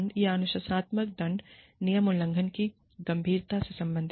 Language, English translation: Hindi, Was the disciplinary penalty, reasonably related to the seriousness of the rule violation